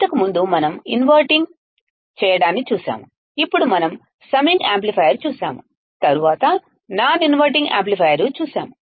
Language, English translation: Telugu, What we have seen earlier inverting, then we have seen summing, then we have seen non inverting amplifier right